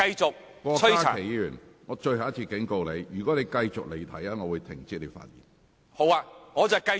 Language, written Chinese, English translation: Cantonese, 郭家麒議員，我最後一次警告你，如果你繼續離題，我會請你停止發言。, Dr KWOK Ka - ki I warn you the last time . If you continue to digress I have to stop you from speaking